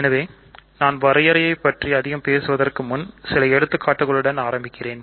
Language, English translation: Tamil, So, before I talk more about the definition, let me start with some examples